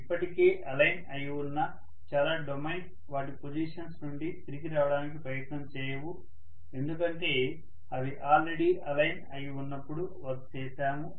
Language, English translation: Telugu, Many of the domains which are already aligned, they will not try to come back from their position because already aligned you have done from work on them